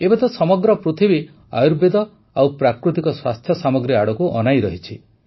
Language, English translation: Odia, Today the whole world is looking at Ayurveda and Natural Health Products